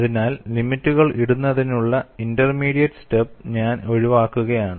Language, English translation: Malayalam, So, I am skipping the intermediate step of putting the limits